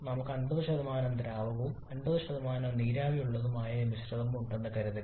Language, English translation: Malayalam, That is from a mixture let us assume say we have a mixture where 50% is liquid and 50% is vapor